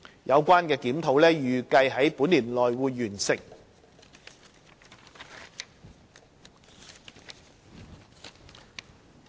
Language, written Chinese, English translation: Cantonese, 有關檢討預計於本年內完成。, The review is expected to be completed within this year